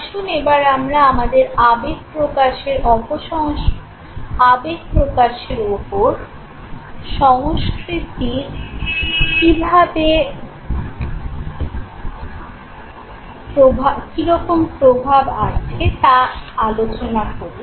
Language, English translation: Bengali, Now let us talk about the influence, of the impact, of the effect, of culture on emotional expression